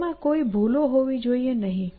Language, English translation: Gujarati, So, it should have no flaws